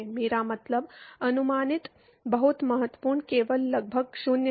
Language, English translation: Hindi, I mean approximate very important only approximately 0